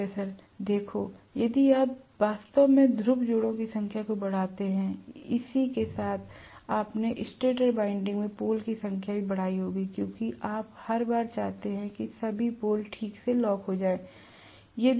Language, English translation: Hindi, See even if you actually increase the number of pole pairs correspondingly you would also have increased the number of poles in the stator winding because you want every time, all the poles to lock up properly